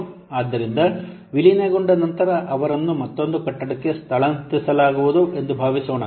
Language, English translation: Kannada, So, after merging, suppose they will be shifted to another building